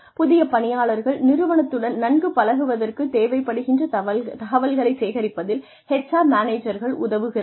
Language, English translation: Tamil, That, the HR manager can help the new employee, collect the information that, she or he requires, in order to become familiar, with the organization